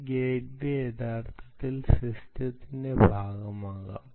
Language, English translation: Malayalam, in fact, this gateway can actually be part of the system